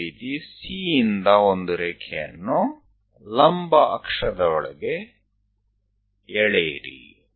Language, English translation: Kannada, Similarly, from C to draw a line, all the way to vertical axis